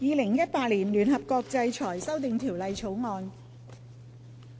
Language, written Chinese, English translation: Cantonese, 《2018年聯合國制裁條例草案》。, United Nations Sanctions Amendment Bill 2018